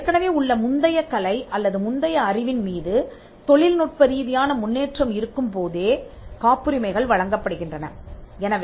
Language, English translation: Tamil, Patents are granted only if there is a technical advancement and the technical advancement is made to the prior art or the prior knowledge